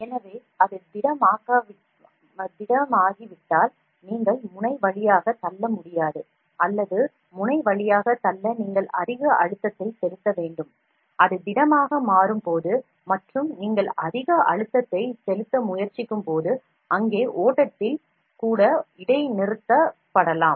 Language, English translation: Tamil, So, if it is become solid, then you cannot push through the nozzle or if it become solid you have to apply lot of pressure to push through the nozzle, when it becomes a solid and when you try to apply a lot of pressure, there can be at discontinuity in the flow even